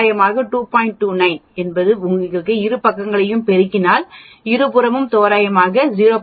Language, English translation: Tamil, 28 multiply both sides will be approximately 0